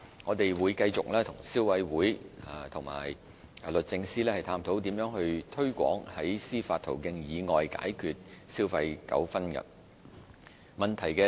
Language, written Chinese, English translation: Cantonese, 我們會繼續與消委會及律政司探討如何推廣在司法途徑以外解決消費糾紛。, We will continue to explore with CC and the Department of Justice on promoting the resolution of consumer disputes by non - judicial means